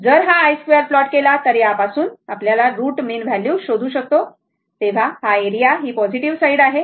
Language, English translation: Marathi, If you plot the i square from it is this your what you call that when you try to find out the root mean square value, this area this is positive side